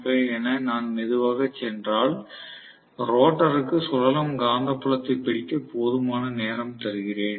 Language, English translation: Tamil, 5, if I go slow, then I gave rotor enough time to catch up with the stator revolving magnetic field